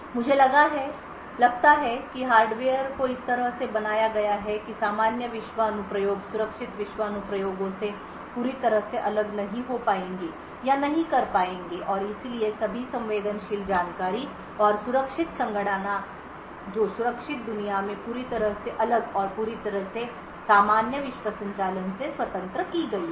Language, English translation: Hindi, I think hardware is built in such a way that the normal world applications will not be able to access or is totally isolated from the secure world applications and therefore all the sensitive information and secure computations which is done in the secure world is completely isolated and completely independent of the normal world operations